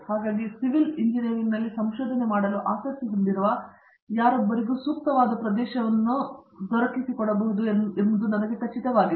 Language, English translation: Kannada, So, I am sure that any one who is interested in research in civil engineering would find an area that is suitable for him